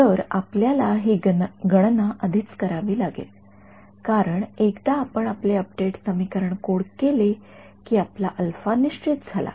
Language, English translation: Marathi, So, you have to do this calculation beforehand because once you coded up your update equations your alpha is fixed